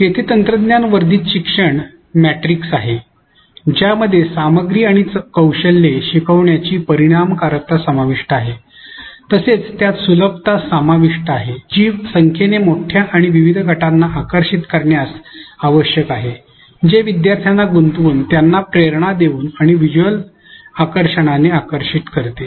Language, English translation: Marathi, Here is a technology enhanced learning metrics which includes effectiveness which entails learning of content and skills, it includes accessibility which entails reaching to large numbers and diverse groups attractiveness which entails attracting learners by engaging them, motivating them and visual attractiveness